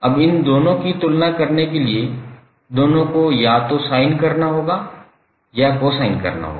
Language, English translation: Hindi, Now in order to compare these two both of them either have to be sine or cosine